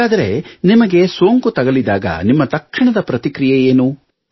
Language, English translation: Kannada, So, when it happened to you, what was your immediate response